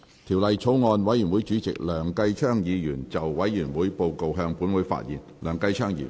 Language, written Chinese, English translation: Cantonese, 條例草案委員會主席梁繼昌議員就委員會報告，向本會發言。, Mr Kenneth LEUNG Chairman of the Bills Committee on the Bill will address the Council on the Committees Report . Committee on Inland Revenue Amendment No